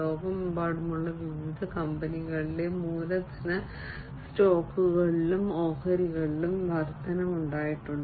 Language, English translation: Malayalam, And there has been increase in the capital stocks and shares across different companies worldwide